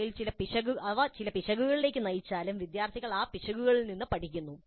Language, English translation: Malayalam, And even if they lead to some errors, the students learn from those errors